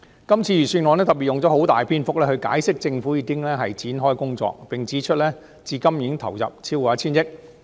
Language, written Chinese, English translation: Cantonese, 今次預算案用了很多篇幅解釋政府已經展開相關工作，並指出至今已投入超過 1,000 億元。, The Budget devotes much space to explain that the Government has commenced the relevant work and committed over 100 billion so far